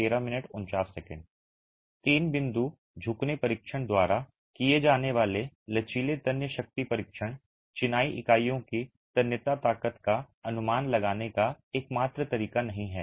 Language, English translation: Hindi, The flexual tensile strength test that is carried out by the three point bending test is not the only way of estimating the tensile strength of masonry